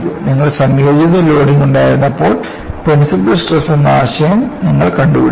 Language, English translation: Malayalam, when you had combined loading, you invented the concept of principle stresses